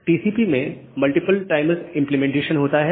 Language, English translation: Hindi, TCP has multiple timers implementation